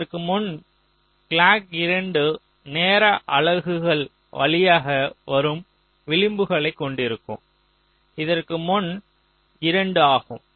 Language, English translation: Tamil, clock two will be having the edges coming through time units before this, like this: this much is two